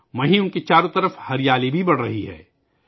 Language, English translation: Urdu, At the same time, greenery is also increasing around them